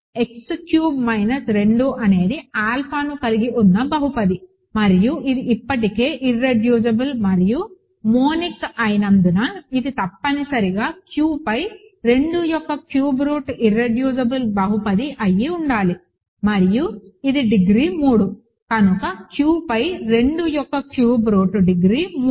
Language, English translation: Telugu, Because x cubed minus 2 is a polynomial which has alpha is a root and it is already irreducible and monic, it must be irreducible polynomial of cube root of 2 over Q and it is degrees 3, so degree of cube root of 2 over Q is 3